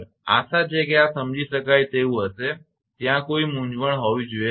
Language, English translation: Gujarati, Hope this will be understandable there should not be any confusion right